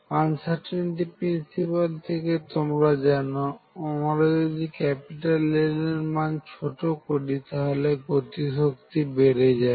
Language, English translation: Bengali, From uncertainty principle I know that if I make L smaller the kinetic energy goes up